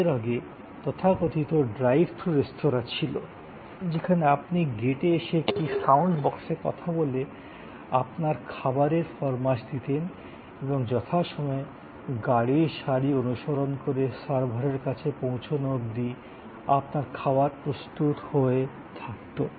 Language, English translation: Bengali, Earlier, there is to be the so called drive through restaurants, where you came to the gate and spoke into a sound box and you place your order and by the time, you reach the server following the queue of cars, your order was ready